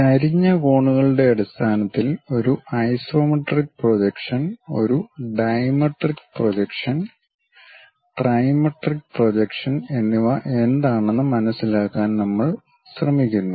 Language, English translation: Malayalam, Then we try to understand what is an isometric projection, a dimetric projection, and trimetric projection in terms of the inclination angles